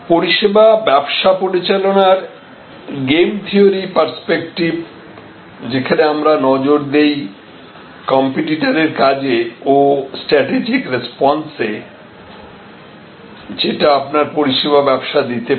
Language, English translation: Bengali, So, the game theoretic perspective of managing service businesses, where we look at competitors actions and strategic responses that can be given by your service business